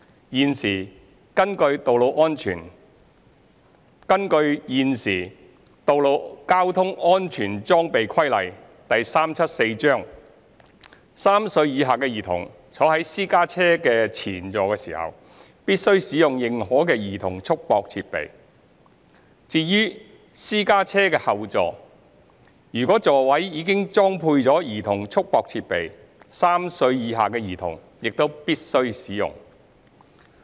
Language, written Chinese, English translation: Cantonese, 現時根據《道路交通規例》，3 歲以下的兒童坐在私家車前座時，必須使用認可的兒童束縛設備；至於私家車後座，如果座位已裝配兒童束縛設備 ，3 歲以下的兒童也必須使用。, Under the Road Traffic Regulations Cap . 374F a child under the age of three must be restrained by an approved CRD when travelling in the front seat of a private car . A child passenger under the age of three travelling in the rear seat is also required to use a CRD if one is fitted